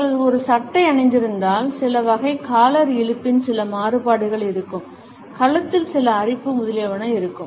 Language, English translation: Tamil, If they are wearing a shirt, you would find that some type, some variation of a collar pull would be there, some scratching of the neck, etcetera would also be there